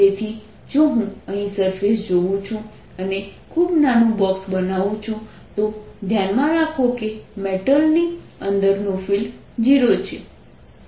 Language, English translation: Gujarati, so if i look at the surface out here and make a very small box, keep in mind that field inside the metal is zero